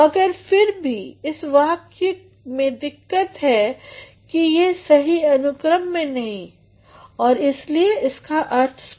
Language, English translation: Hindi, But then what is the problem with this expression is that it has not been into a proper sequence and that is why meaning is not proper